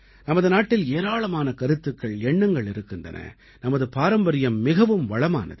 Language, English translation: Tamil, Our country has so many ideas, so many concepts; our history has been very rich